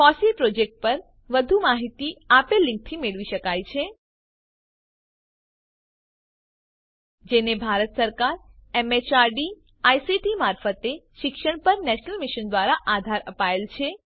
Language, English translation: Gujarati, More information on the FOSSEE project could be obtained from http://fossee.in or http://scilab.in website Supported by the National Mission on Eduction through ICT, MHRD, Government of India